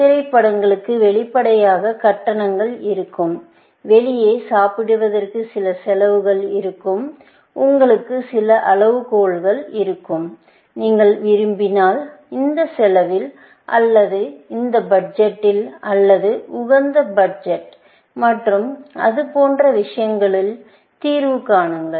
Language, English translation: Tamil, Obviously, movies also will have charges; eating out will have some costs, and you may have some criteria; you want to those, find the solution within this cost, or within this budget, or of optimal budget and things like that